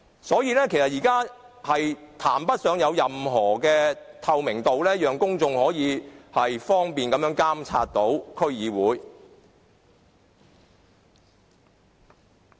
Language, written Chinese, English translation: Cantonese, 所以，現時根本談不上有任何透明度，讓公眾可以方便地監察區議會。, Hence now we cannot say there is any degree of transparency allowing the public to monitor DCs conveniently